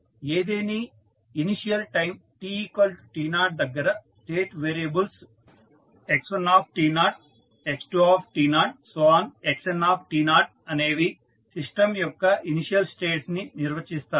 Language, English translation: Telugu, So, at any initial time that t equal to 0 the state variables that x1t naught or x2t naught define the initial states of the system